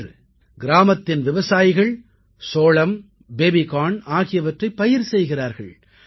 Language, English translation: Tamil, Today farmers in the village cultivate sweet corn and baby corn